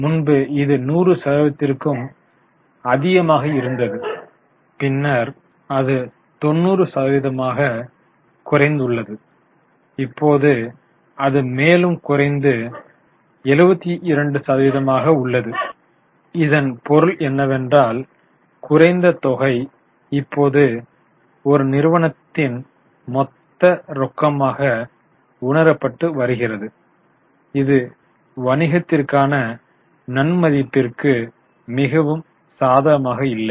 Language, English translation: Tamil, There also you see a drop earlier it was more than 100% then it became 90 and now it is 72, which means that lesser amount is now getting realized as a cash which is not a very positive value for the business